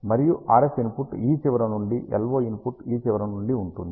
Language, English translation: Telugu, And the RF input is from this end the LO input is from this end